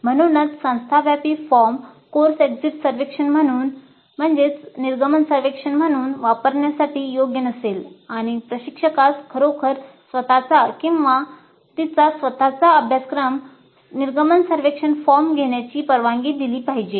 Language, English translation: Marathi, So the institute wide form may not be suitable for use as a course exit survey and the instructor should be really allowed to have his own or her own course exit survey form